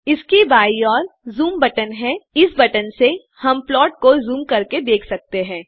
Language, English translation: Hindi, Left to this is the zoom button by which we can zoom into the plot